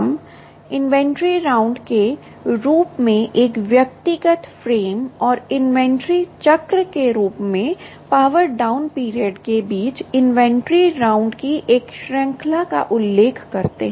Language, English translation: Hindi, um, we refer to an individual frame as an inventory round and a series of inventory rounds between power down periods as a inventory cycle